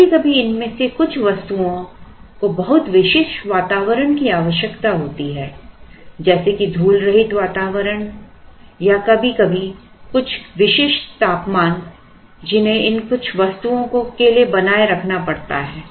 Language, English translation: Hindi, Sometimes some of these items may require very specific environment such as a dust proof environment or sometimes certain temperature which has to be maintained for some of these items